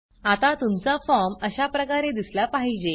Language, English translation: Marathi, For now, your form should look something like this